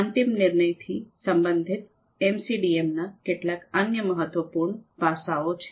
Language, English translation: Gujarati, There are some other important aspects of MCDM related to final decision